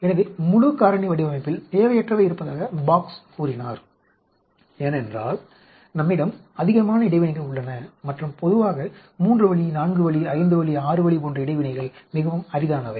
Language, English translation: Tamil, So, Box said there tends to be a redundancy in full factorial design, because we have excess number of interactions and generally interactions like 3 way, 4 way, 5 way, 6 way are very rare